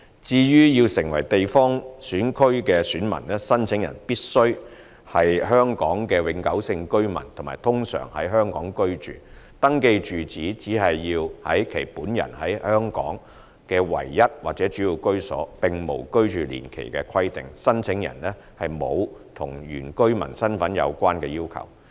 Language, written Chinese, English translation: Cantonese, 至於要成為地方選區選民，申請人必須是香港永久性居民和通常在香港居住，登記住址只要是其本人在香港的唯一或主要居所，並無居住年期的規定，申請人亦沒有與原居民身份有關的要求。, As for persons who want to register as electors in a geographical constituency they must be Hong Kong permanent residents and ordinarily reside in Hong Kong . The registered residential address should be the address of their only or principal residence in Hong Kong but there is no requirement for the period of residence . There is also no such requirement of the indigenous inhabitant identity